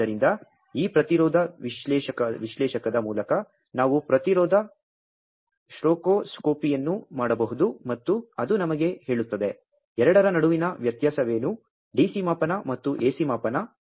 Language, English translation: Kannada, So, we can do the impedance spectroscopy, by this impedance analyzer and that will tell us that; what is the difference between; a DC measurement and AC measurement